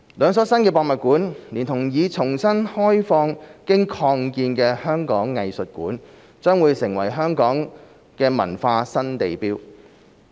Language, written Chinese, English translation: Cantonese, 兩所新的博物館，連同已重新開放經擴建的香港藝術館，將成為香港的文化新地標。, The two new museums together with the expanded and reopened Hong Kong Museum of Arts will become a new cultural landmark of Hong Kong